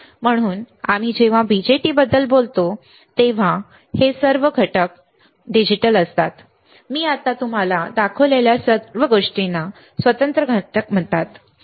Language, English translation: Marathi, So, when we talk about BJTs these are all digital components, all the things that I have shown it to you until now are called discrete components, all right